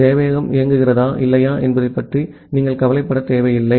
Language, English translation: Tamil, You do not bother about whether the server is running or not